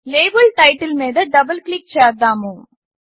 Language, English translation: Telugu, Double click on the label title